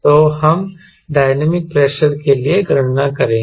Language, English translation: Hindi, so we will calculate for one dynamic pressure